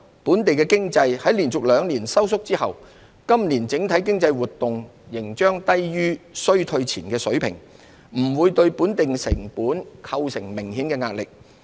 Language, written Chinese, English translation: Cantonese, 本地經濟在連續兩年收縮後，今年整體經濟活動仍將低於衰退前的水平，不會對本地成本構成明顯壓力。, After two consecutive years of contraction overall economic activities will remain below the pre - recession level this year and should not pose notable pressure on local costs